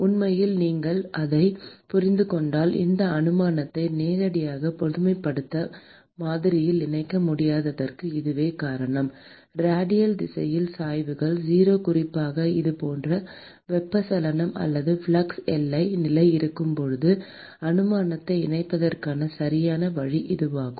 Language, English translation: Tamil, And in fact, if you understand that that is the reason why you cannot incorporate this assumption directly into the generalized model; and this is the correct way to incorporate the assumption that the gradients in the radial direction is 0, particularly when you have this kind of a convection or flux boundary condition